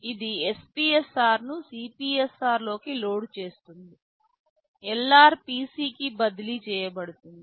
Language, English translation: Telugu, It will be loading back that SPSR into CPSR, LR will be transferred to PC